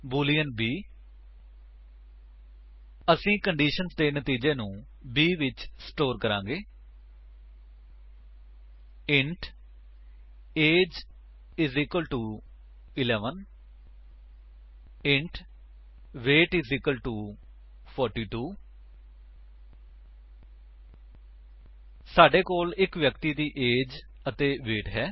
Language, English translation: Punjabi, boolean b We shall store the result of conditions in b int age is equal to 11 int weight is equal to 42 We have the age and weight of a person